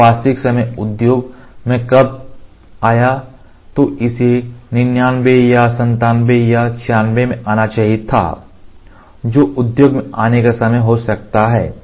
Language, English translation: Hindi, So, when it came into in real time industry, it should have come in 99 or 97 or 96 that would should be the time when could have come in the industry